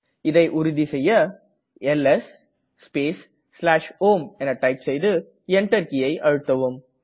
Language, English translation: Tamil, Check this by typing ls space /home and press the Enter